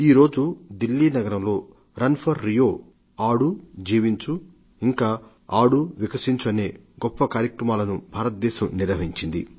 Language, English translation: Telugu, In Delhi this morning, the Government of India had organised a very good event, 'Run for RIO', 'Play and Live', 'Play and Blossom'